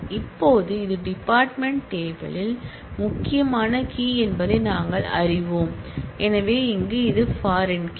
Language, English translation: Tamil, Now, we know that this is the key in the department table and therefore, here it is the foreign key